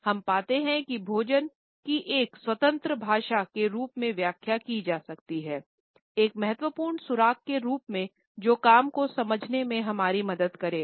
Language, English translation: Hindi, We find that food has started to be interpreted as an independent language as an important clue in terms of our understanding of body language